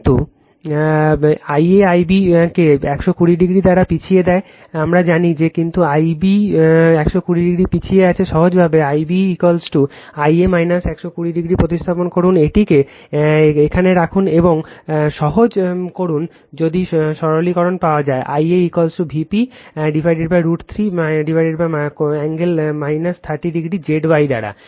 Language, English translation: Bengali, But I a lags I b by 120 degree, we know that, but I b lags 120 degree, simply substitute I b is equal to I a minus 120 degree, you put it here and you simplify, if you simplify you will get, I a is equal to V p upon root 3 divided by angle minus 30 degree by Z y